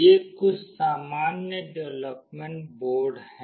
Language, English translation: Hindi, These are some common development boards